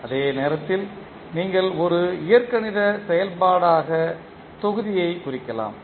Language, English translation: Tamil, At the same time you can represent the block as an algebraical function